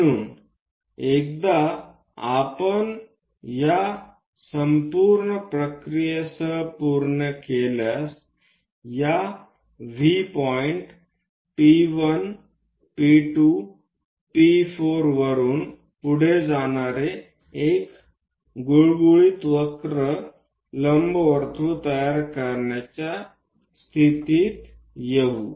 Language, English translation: Marathi, So, once we are done with this entire procedure, a smooth curve passing through this V point P 1 P 2 P 4 and so on, we will be in a position to construct an ellipse